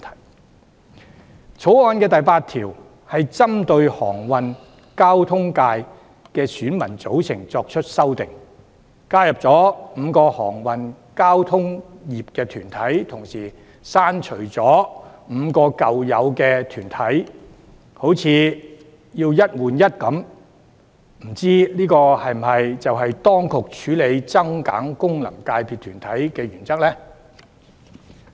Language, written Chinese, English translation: Cantonese, 另外，《條例草案》第8條針對航運交通界的選民組成作出修訂，加入5個航運交通業團體，但同時刪除5個舊有團體，好像"一換一"般，未知這是否當局處理增減功能界別團體的原則呢？, In addition clause 8 of the Bill introduces amendments to the electorate composition of the Transport Constituency to add five corporates to the shipping and transport sectors and delete five existing corporates at the same time as if it is a one - for - one replacement . I wonder if it is the principle on which the authorities deal with the addition or removal of corporates in respect of FCs?